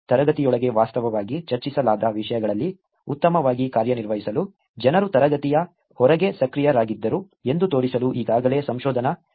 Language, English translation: Kannada, There is already research literature to show that people were active outside the class to perform well in the topics that are actually discussed inside the class